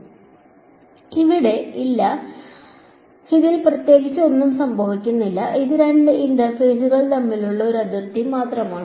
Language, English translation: Malayalam, There is no; there is nothing special happening at this, it is just a boundary between two interfaces